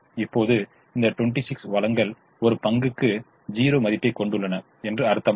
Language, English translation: Tamil, now does it mean that this twenty six resources have zero value per share